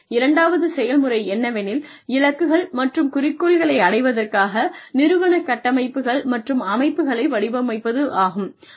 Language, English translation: Tamil, The second thing is, design of organizational structures and systems, to achieve the goals and objectives